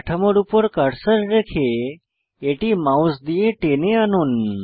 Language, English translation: Bengali, Place the cursor on the structure and drag it with the mouse